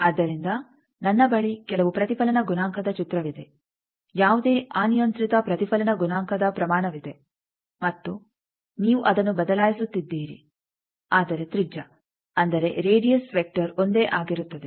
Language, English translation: Kannada, So, I have some reflection coefficient picture that there is any arbitrary reflection coefficient magnitude, and you are changing it, but the radius; that means, that radius vector is remaining change